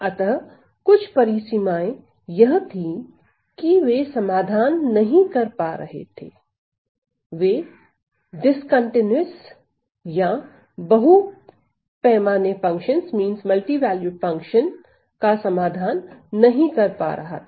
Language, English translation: Hindi, So, some of the limitations were that they were not able to resolve, they were not able to resolve discontinuous or multi scale functions